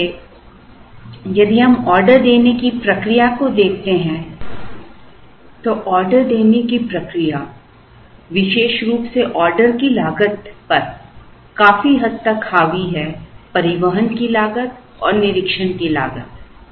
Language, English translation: Hindi, So, if we look at the ordering process, the ordering process particularly it is the order cost in particular is largely dominated by, the cost of transportation and the cost of inspection